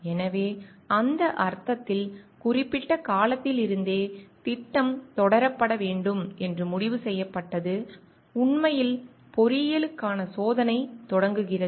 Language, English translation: Tamil, So, in that sense more specifically from the time, it is decided the project is to be pursued into reality actually experimentation starts for engineering